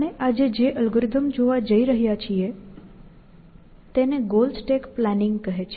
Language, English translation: Gujarati, The algorithm that you want to look at today is called goal stack planning